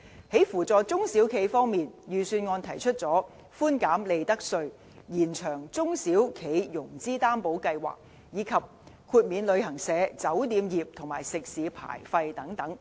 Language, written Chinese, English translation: Cantonese, 在扶助中小企方面，預算案提出寬減利得稅，延長中小企融資擔保計劃，以及豁免旅行社、酒店業和食肆牌費等。, Regarding the support for small and medium enterprises SMEs the Budget has proposed reducing profits tax extending the validity period of the SME Financing Guarantee Scheme and waiving the licence fees for travel agents hotels and restaurants and so on